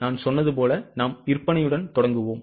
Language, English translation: Tamil, As I told you, we will be starting with the sales